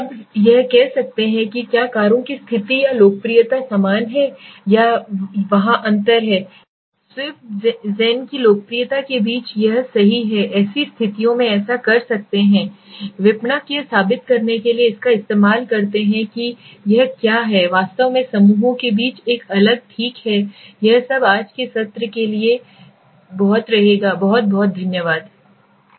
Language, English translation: Hindi, Now it can say whether the states or popularity of the cars are same or it is there is the difference between the popularity of swift verses zen verses alto right it can do that so in such conditions marketers use it profusely or in very high level the other test hypothesis to prove that there is actually a different between the groups okay well this is all for today s session thank you so much